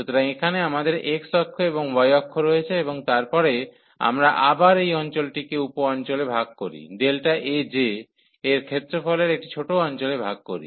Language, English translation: Bengali, So, here we have x axis and the y axis and then we divide again this region into sub regions so into a smaller regions of area delta A j